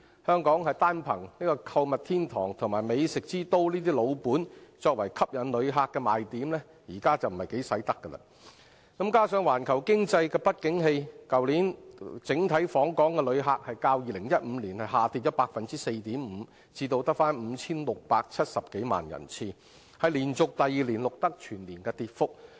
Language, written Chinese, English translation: Cantonese, 香港單憑購物天堂及美食之都的"老本"作為吸引旅客的賣點已不奏效；加上環球經濟不景氣，去年整體訪港旅客較2015年下跌 4.5% 至 5,670 多萬人次，是連續第二年錄得全年跌幅。, It is no longer effective for Hong Kong to rest solely on its laurels as a shoppers paradise and a culinary capital for attracting visitors; and coupled with the global economic downturn the overall visitor arrivals last year dropped by 4.5 % to some 56.7 million as compared with 2015 which was an annual decrease for the second year in a row